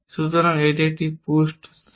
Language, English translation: Bengali, So, this is a push space